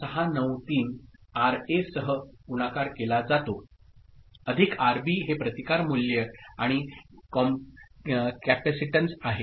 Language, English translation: Marathi, 693 multiplied with RA plus RB this is resistance values and capacitance